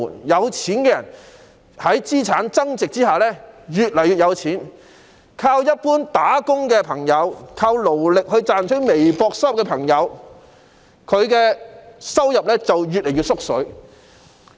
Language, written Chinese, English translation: Cantonese, 有錢人在資產增值下越來越富有，但依靠一般工作的朋友、依靠勞力賺取微薄收入的朋友，他們的收入卻越來越少。, Rich people become increasingly wealthy as their assets appreciate . But in the case of those who earn a meager income from an ordinary job or manual labouring their income is nonetheless shrinking